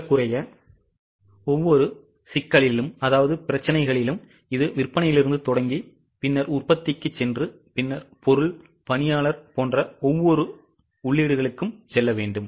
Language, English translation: Tamil, In almost every problem it will start from sales then go to production and then we will go to each of the inputs like material, labour and so on